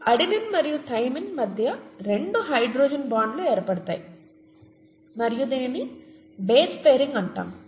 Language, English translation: Telugu, There are two hydrogen bonds that are formed between adenine and thymine